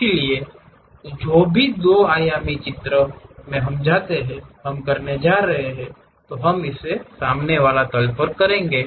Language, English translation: Hindi, So, whatever the 2 dimensional drawings we go we are going to do we will do it on this front plane